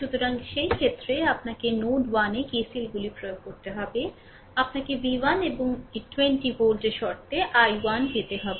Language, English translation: Bengali, So, in this case also you have to to apply KCLs at node 1, you have to obtain i 1 in terms of v 1 and this 20 volt, right